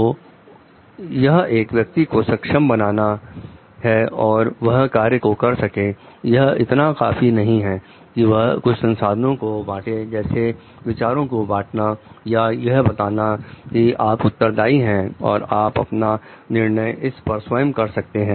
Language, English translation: Hindi, So, that it becomes an enabler for the person to do the task it is not only enough that we share certain resources like share ideas or tell like you are responsible and you can take your call on it